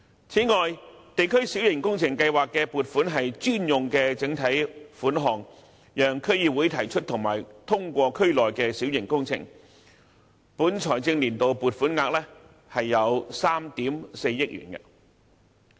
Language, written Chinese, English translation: Cantonese, 此外，地區小型工程計劃的撥款是專用的整體款項，讓區議會提出和通過區內的小型工程，本財政年度的撥款額為3億 4,000 萬元。, Besides the funding for the District Minor Works Programme is a dedicated block grant for DCs to propose and approve minor works in the districts . The provision for this financial year is 340 million